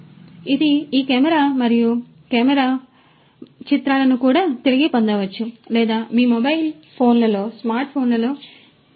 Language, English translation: Telugu, And this is this camera and this camera and the images could also be retrieved or what could be received in your mobile phones the smart phones and so on